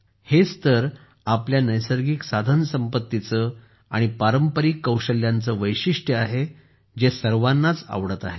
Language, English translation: Marathi, This is the very quality of our natural resources and traditional skills, which is being liked by everyone